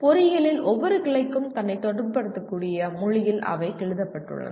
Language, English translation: Tamil, They are written in a language that every branch of engineering can relate itself to